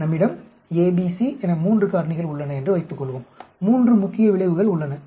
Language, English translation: Tamil, Suppose we have three factors a b c there are 3 main effects